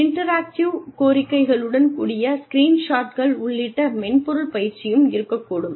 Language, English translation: Tamil, Software training, including screenshots, with interactive requests, could be there